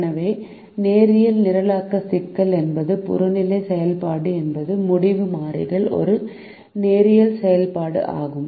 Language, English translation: Tamil, so the linear programming problems is one where the objective function is a linear function of the decision variables